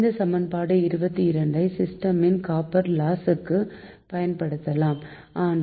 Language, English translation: Tamil, so equation twenty two is applicable to the copper loss of the system but not for iron loss